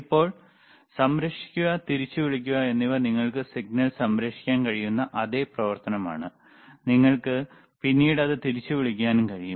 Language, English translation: Malayalam, Now, other than that, save and recall is the same function that you can save the signal, and you can recall it later